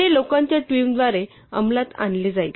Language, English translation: Marathi, This will be executed by a team of people